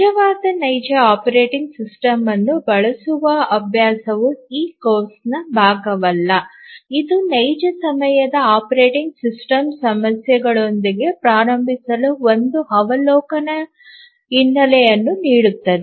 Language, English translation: Kannada, The practice using a actual real operating system is not part of this course, it just gives an overview background to get started with real time operating system issues